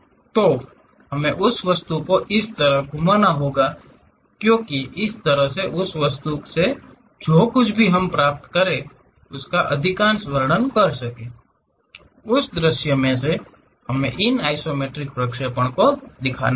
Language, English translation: Hindi, So, we have to rotate that object in such a way that, most description whatever we can get from that object; in that view we have to show these isometric projections